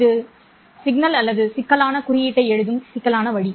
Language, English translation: Tamil, This is the complex way of writing the signal or the complex notation